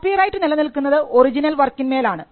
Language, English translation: Malayalam, Copyright subsists in original works